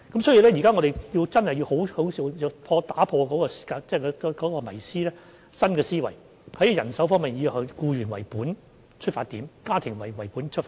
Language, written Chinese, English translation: Cantonese, 所以，我們現時真的要打破迷思，以新的思維，在人手方面以"僱員為本"及以"家庭為本"為出發點。, This has been found useful by certain RCHEs . We thus have to get out of the old framework and adopt a new way of thinking be employee - oriented and family - oriented when addressing the manpower issue